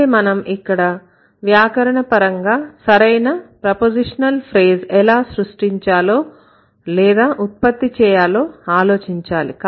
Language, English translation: Telugu, But here we need to check how you are going to create or generate or grammatically correct prepositional phrase